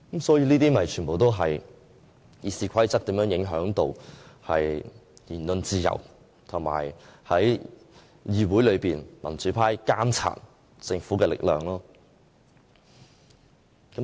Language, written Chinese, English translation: Cantonese, 這些全部都是《議事規則》如何影響言論自由和議會內民主派監察政府的力量的例子。, The above are examples of how the RoP can affect freedom of speech and the pro - democracy camps power in monitoring the Government in the Council